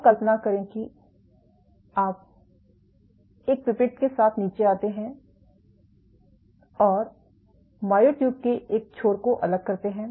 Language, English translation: Hindi, And imagine you come down with a pipette and detach one end of the myotube